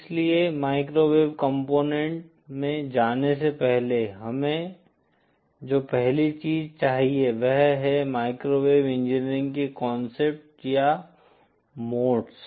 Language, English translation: Hindi, So the first thing that we need before going to the microwave component is the concept or modes in microwave engineering